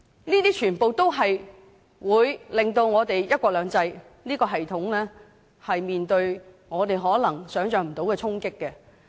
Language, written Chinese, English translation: Cantonese, 這些全部也會令我們的"一國兩制"系統面對我們可能無法想象的衝擊。, All these would make inroads that we can hardly imagine into our one country two systems framework